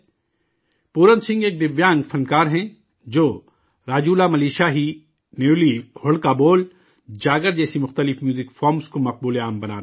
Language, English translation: Urdu, Pooran Singh is a Divyang Artist, who is popularizing various Music Forms such as RajulaMalushahi, Nyuli, Hudka Bol, Jagar